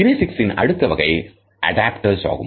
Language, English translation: Tamil, The next category of kinesics is Adaptors